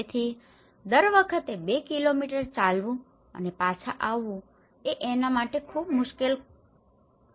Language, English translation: Gujarati, So, every time walking two kilometres and coming back is a very difficult task for them